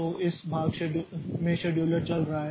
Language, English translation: Hindi, So, that case also scheduler is invoked